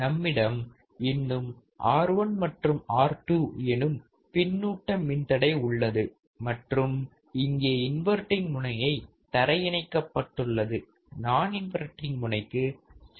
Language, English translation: Tamil, We still have the feedback resistance R 1 and R 2 and here the inverting terminal is grounded, non inverting terminal is given the signal